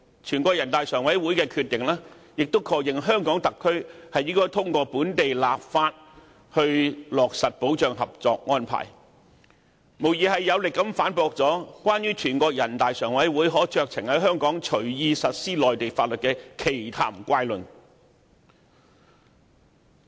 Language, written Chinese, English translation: Cantonese, 全國人大常委會的決定亦確認，香港特區應通過本地立法以落實《合作安排》，這無疑是有力的反擊，駁斥有關全國人大常委會可隨意在香港實施內地法律的奇談怪論。, The Decision of NPCSC also endorsed the HKSARs implementation of co - location through local legislation . This undoubtedly serves as a forceful rebuttal to the absurd assertion that NPCSC can now arbitrarily enforce Mainland laws in Hong Kong